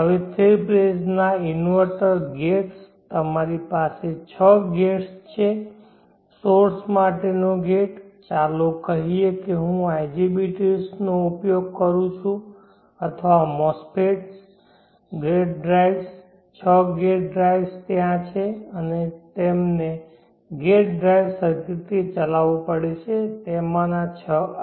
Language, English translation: Gujarati, Now the three phase inverter the gates you have six gates gate to source that is a new sign IGPT’s are mass fits the gate drives six gate drives are there and they have to be driven by gate drive circuit six of them like this